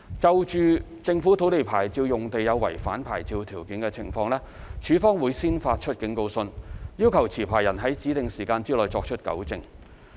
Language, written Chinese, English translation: Cantonese, 就政府土地牌照用地有違反牌照條件的情況，署方會先發出警告信，要求持牌人在指定時限內作出糾正。, In respect of breach of conditions of government land licence LandsD will first issue a warning letter to the licencee requiring rectification of the breach within a specified period